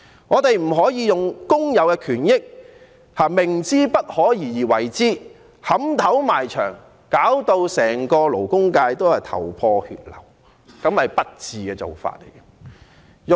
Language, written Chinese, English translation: Cantonese, 我們不能用工友的權益作賭注，明知不可而為之，以頭撼牆，弄至整個勞工界頭破血流，那是不智的做法。, We should not bet on the rights and interests of workers; striving for the impossible is like hitting the head on the wall causing great harm to the labour sector . It is therefore unwise to do so